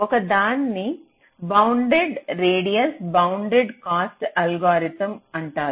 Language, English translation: Telugu, so one is called the bounded radius bounded cost algorithm